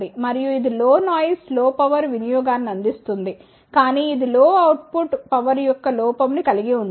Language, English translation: Telugu, And, it provides low noise low power consumption , but it suffers with a drawback of low output power